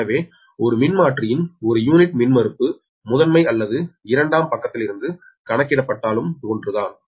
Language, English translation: Tamil, therefore, per unit impedance of a transformer is the same, whether co, whether computed from primary or secondary side